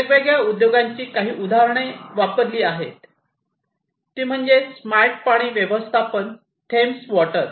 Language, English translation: Marathi, So, some of the examples of different industries, which I have used the solutions are Thames water for smart water management